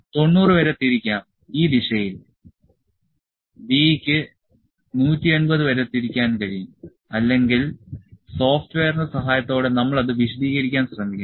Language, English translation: Malayalam, 90 on this direction, this can rotate up to B can rotate up to 180 or we will try to explain it using the help of the software